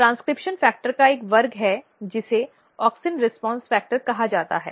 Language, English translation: Hindi, There is a class of transcription factor which is called auxin response factor